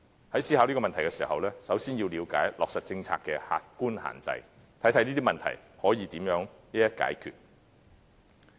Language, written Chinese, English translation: Cantonese, 在思考這個問題時，首先要了解落實政策的客觀限制，看看這些問題可以如何一一解決。, In considering this question we should understand the objective restraints of implementing this policy before examining how the problems can be resolved